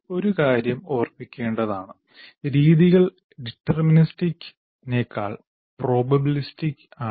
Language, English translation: Malayalam, And one thing should be remembered, methods are probabilistic rather than deterministic